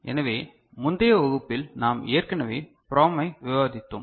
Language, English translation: Tamil, So, PROM we have already discussed in the previous class